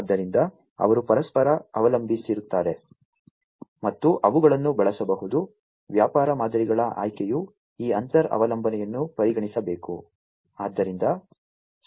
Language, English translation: Kannada, So, they depend on each other, and they can be used, you know, the choice of the business models should consider this inter dependency as well